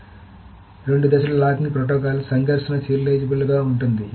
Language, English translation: Telugu, So, the two phase locking protocol is conflict serializable